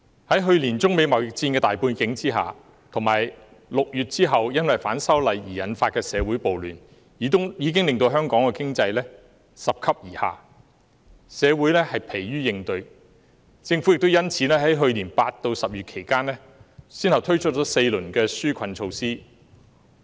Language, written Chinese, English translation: Cantonese, 在去年中美貿易戰的大背景下，以及6月後因為反修例事件而引發的社會暴亂，已經令香港的經濟拾級而下，社會疲於應對，因此政府在去年8月至10月期間，先後推出了4輪紓困措施。, Last year the general environment of the China - United States trade war and the social riots arising from the incidents of opposition to the proposed legislative amendments since June had already led to the progressive decline of Hong Kongs economy . Society was exhausted in coping with the situation . For this reason from August to October last year the Government successively launched four rounds of relief measures